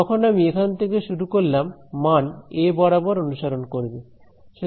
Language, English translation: Bengali, When I start from here the value will follow along a right